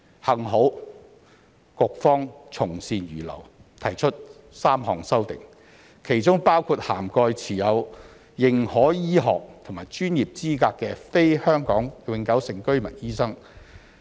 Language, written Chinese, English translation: Cantonese, 幸好局方從善如流，提出3項修正案，其中包括涵蓋持有認可醫學及專業資格的非香港永久性居民醫生。, Fortunately the Policy Bureau has heeded good advice and proposed three amendments including one that would cover non - HKPR doctors who hold recognized medical and professional qualifications